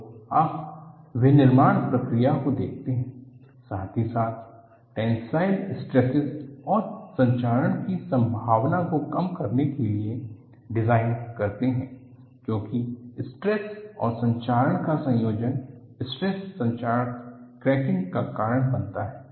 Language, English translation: Hindi, So, you look at the manufacturing process, as well as the design to reduce the tensile stresses and chances for corrosion, because the combination of stresses and corrosion will lead to stress corrosion cracking